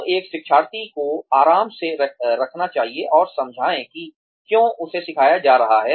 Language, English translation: Hindi, So, one should put the learner at ease, and explain why, she or he is being taught